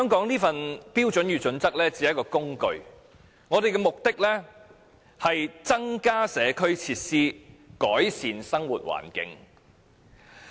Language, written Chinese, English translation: Cantonese, 《規劃標準》其實只是一種工具，目的是要增加社區設施和改善生活環境。, HKPSG is in fact just a tool to achieve the purposes of increasing community facilities and improving our living environment